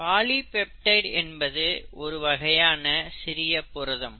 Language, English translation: Tamil, A polypeptide is nothing but a shorter form of protein